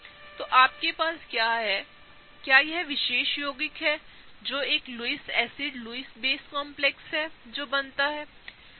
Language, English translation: Hindi, So, what you now have is, is this particular compound, which is a Lewis acid Lewis base complex that is formed, okay